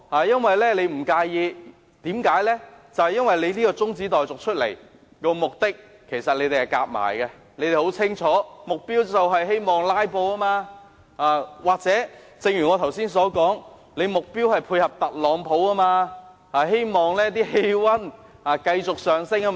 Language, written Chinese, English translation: Cantonese, 因為他提出中止待續議案一事，已與其他人合謀，而目的大家也很清楚，只是為了"拉布"，或正如我剛才所說，目標是配合特朗普，希望氣溫繼續上升。, Because he has conspired with the others to move this adjournment motion for an objective which is clear to everyone to filibuster or to rise the temperature in coordination with Donald TRUMP as I have just said